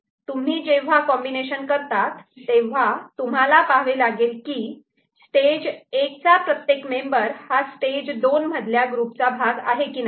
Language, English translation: Marathi, So, when you do the combination, we look at whether every member of stage 1 has been part of a group of stage 2 ok